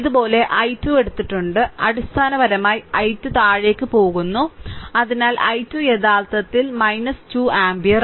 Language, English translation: Malayalam, So, basically i 2 going downwards; so i 2 actually is equal to minus 2 ampere right